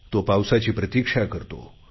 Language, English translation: Marathi, A farmer waits for the rains